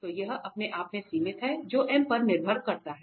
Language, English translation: Hindi, So, that is the limited itself, which depends on m